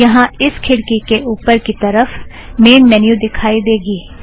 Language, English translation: Hindi, You will see the Main Menu right at the top of the window